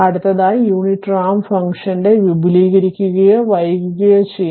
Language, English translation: Malayalam, So, next, the unit ramp function may be advanced or delayed right